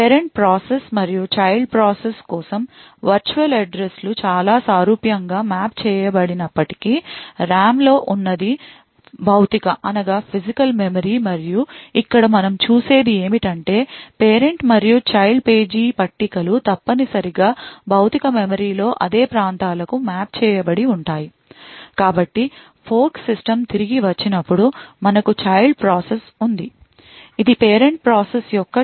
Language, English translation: Telugu, Although virtual addresses for parent process and the child process would get mapped in a very similar way, so this is the physical memory present in the RAM and what we see over here is that the page tables of the parent as well as the child would essentially map to the same regions in the physical memory